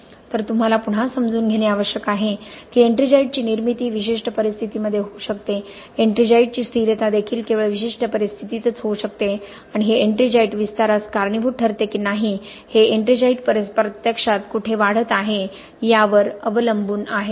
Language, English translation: Marathi, So again what you need to understand is the formation of ettringite can happen in specific circumstances, the stability of ettringite can also happen only in specific circumstances and whether this ettringite leads to expansion or not depends on where this ettringite is actually growing, okay